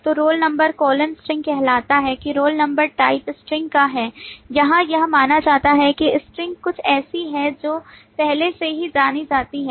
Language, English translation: Hindi, So roll number colon string says that roll number is of type string, while it is assumed that string is something which is known already